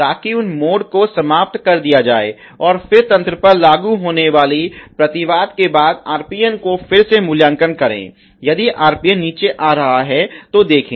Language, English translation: Hindi, So, that those modes get eliminated, and then again the rate the RPN after the countermeasure happening implemented on the system see if the RPN is coming down ok